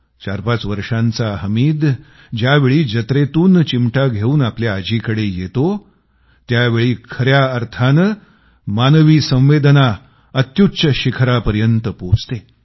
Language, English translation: Marathi, When 45 years old Hamid comes back to his grandma with a pair of tongs, indeed, it stirs human emotions to their supreme pinnacle